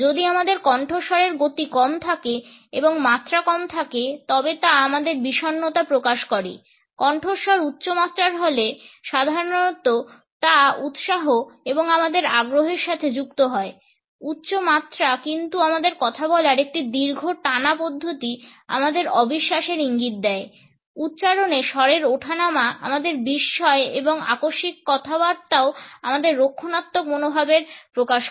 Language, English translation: Bengali, If our voice has low speed and low pitch it shows our depression high pitch is normally associated with enthusiasm and eagerness, high pitch but a long drawn out way of speaking suggest our disbelief, accenting tone suggest astonishment and abrupt speech also shows our defensive attitude